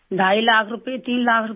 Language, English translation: Hindi, 5 lakh rupees, three lakh rupees